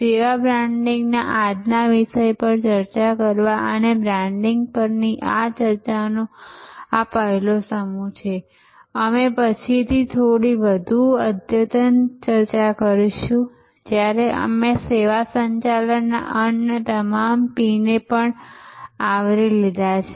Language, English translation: Gujarati, To discuss today's topic of service branding and this is the first set of discussion on branding, we will have another a little bit more advanced discussion later, when we have covered all the other P’s of service management as well